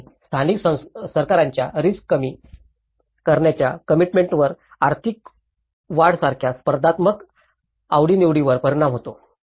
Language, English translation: Marathi, And commitment of the local governments to risk reduction is impacted by competing interests such as economic growth